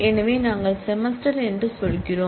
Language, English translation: Tamil, So, we say semester in